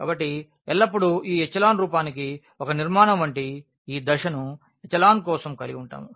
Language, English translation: Telugu, So, always we will have this structure for the echelon this step like a structure for this echelon form